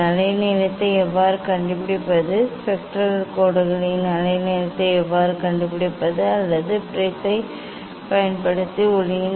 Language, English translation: Tamil, how to find out the wavelength, how to find out the wavelength of a spectral lines or of light using the prism